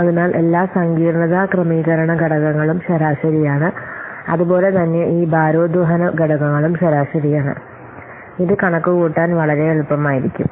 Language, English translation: Malayalam, So, all the complexity adjustment factors are avaraged as well as these weighting factors they are average